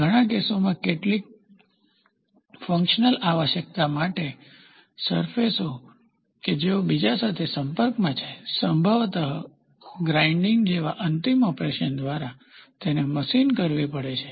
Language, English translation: Gujarati, In many cases, the surfaces that need to contact each other, some functional requirement has to be machined, possibly followed by a finishing operation like grinding